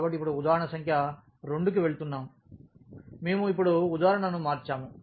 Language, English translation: Telugu, So, now going to the example number 2, we have changed the example now